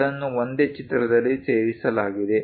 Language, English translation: Kannada, Both are included in the same drawing